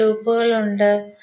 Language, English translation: Malayalam, So how many loops are there